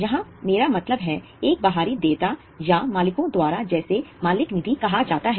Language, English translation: Hindi, Here I mean an external liability or by the owners which is called as owners one